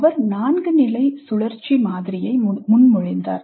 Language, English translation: Tamil, He proposed a four stage cyclic model